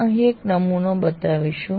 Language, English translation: Gujarati, We will show one sample here like this